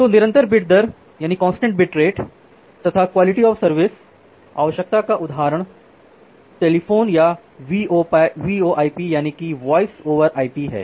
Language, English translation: Hindi, So, the example of constant bit rate requirement QoS requirement is telephone application or these voice over IP application